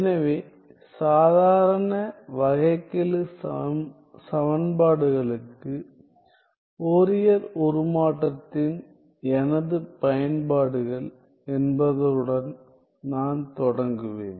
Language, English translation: Tamil, So, I will start with my applications of Fourier transforms to ordinary differential equations